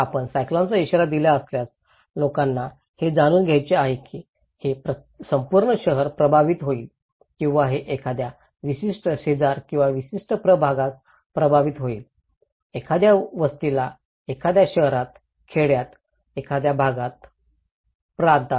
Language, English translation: Marathi, If you have given a cyclone warning, people want to know is it the entire city that will be affected or is it any particular neighbourhood or particular ward that will be affected, particular settlements will be affected in a city, in a village, in a province